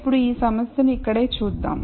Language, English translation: Telugu, Now, let us look at this problem right here